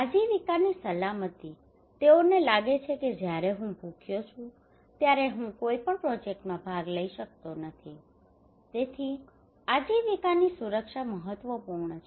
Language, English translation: Gujarati, So livelihood security, they feel that when I am hungry I cannot participate in any projects so livelihood security is critical